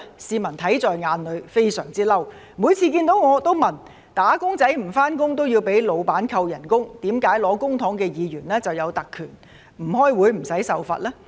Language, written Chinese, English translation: Cantonese, 市民看在眼裏，非常憤怒，每次看到我也會問，"打工仔"不上班也要被僱主扣工資，為何領取公帑的議員有特權，不開會也無須受罰呢？, People were furious to see this . Whenever they saw me they asked me that since wage earners who did not go to work would have their wages deducted by their employers why Members who received public money had the privilege of not being subject to any sanction even if they did not attend meetings